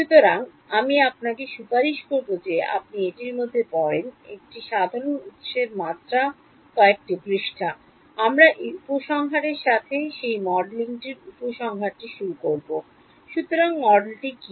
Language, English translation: Bengali, So, I will recommend that you read through it is just a few pages of a simple derivation, we will start with the conclusion of that the conclusion of this modeling the, so what is the spring model